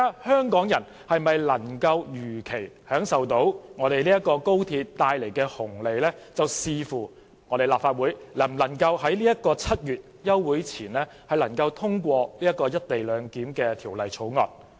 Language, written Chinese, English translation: Cantonese, 香港人能否如期享受高鐵帶來的紅利，視乎立法會能否在7月休會前通過《條例草案》。, Whether Hong Kong people can enjoy the benefits of XRL as scheduled will depend on whether the Legislative Council can pass the Bill before the recess in July